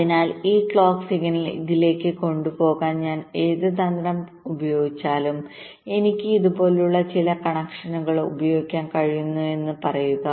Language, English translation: Malayalam, so whatever strategy i use to carry this clock signal up to this say i can use some connections like this